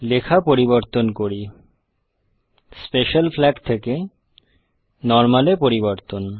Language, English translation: Bengali, Let me edit the text, change the Special Flag to normal